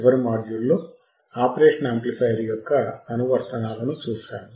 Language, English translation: Telugu, In the last module we have seen the applications of operation amplifier